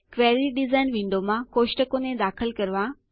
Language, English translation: Gujarati, Add tables to the Query Design window Select fields